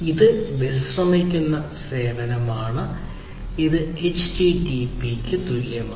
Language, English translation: Malayalam, So, you know it is a restful service which is equivalent of the HTTP